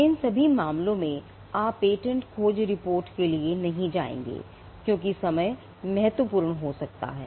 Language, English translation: Hindi, In all these cases you would not go in for a patentability search report, because timing could be critical